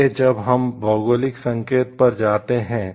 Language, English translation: Hindi, Next when we are moving to the geographical indicators